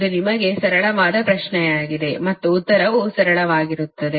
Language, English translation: Kannada, this is a simple question to you and answer also will be simple